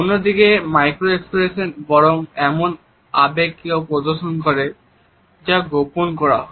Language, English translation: Bengali, However, micro expressions unconsciously display a concealed emotion